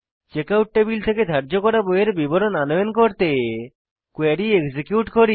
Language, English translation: Bengali, We execute the query to fetch borrowed books details from the Checkout table